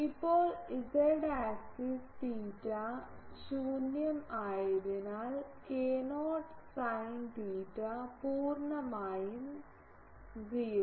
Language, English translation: Malayalam, Now, on the z axis on the z axis theta is 0 so, k not sin theta fully 0